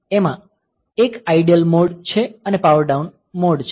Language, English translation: Gujarati, So, this has got one idle mode and a power down mode